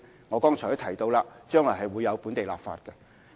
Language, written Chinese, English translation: Cantonese, 我剛才提到將來會推展本地立法工作。, I mentioned earlier that we will proceed with local legislative work in the future